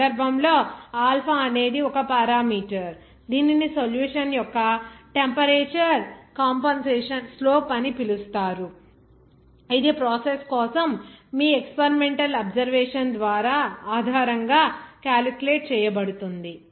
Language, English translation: Telugu, In this case, alpha is one parameter that is called the temperature compensation slope of the solution that of course, will be calculated based on your experimental observation for the process